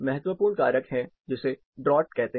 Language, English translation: Hindi, Important factor is something called draught